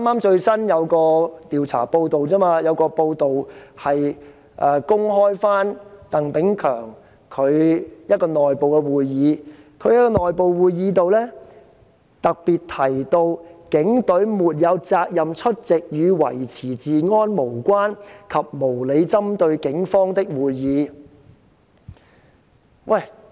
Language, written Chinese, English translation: Cantonese, 剛有一項最新的報道，指鄧炳強在一個內部會議中特別提到，警方沒有責任出席與維持治安無關和無理針對警方的會議。, Recently it has been reported that Chris TANG stated in an internal meeting that the Police had no obligation to attend meetings which were irrelevant to the maintenance of law and order and which targeted the Police unreasonably